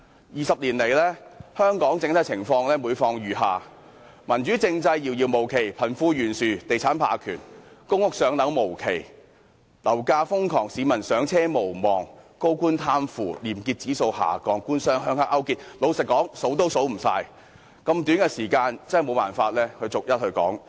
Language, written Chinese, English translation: Cantonese, 二十年來，香港整體情況每況愈下，民主政制遙遙無期，貧富懸殊，地產霸權，公屋"上樓"無期，樓價瘋狂，市民"上車"無望，高官貪腐，廉潔指數下降，"官商鄉黑"勾結，老實說，多不勝數，在如此短的時間內無法逐一說出。, For 20 years the overall situation in Hong Kong has been deteriorating . This is evidenced by the fact that a democratic political system remains a distant dream; the disparity between the rich and the poor; real estate hegemony; the endless waiting for public rental housing; crazy property prices; peoples forlorn hope of home ownership; top officials corruption; our slip in the Corruption Perceptions Index; and the government - business - rural - triad collusion . To be honest there are too many examples to list and it is impossible to mention them one by one in such a short time